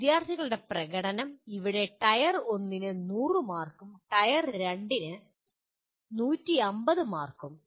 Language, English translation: Malayalam, Students’ performance, here Tier 1 100 marks and Tier 2 150 marks